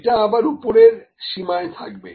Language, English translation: Bengali, This is again our upper bound